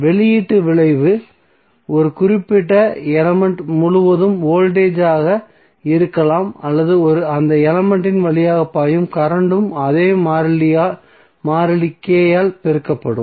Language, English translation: Tamil, So output effect that may be the voltage across a particular element or current flowing through that element will also be multiplied by the same constant K